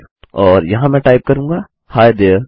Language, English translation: Hindi, And here I will type Hi there